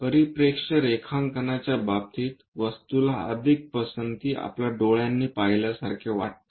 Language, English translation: Marathi, In the case of perspective drawing, the object more like it looks more like what our eyes perceive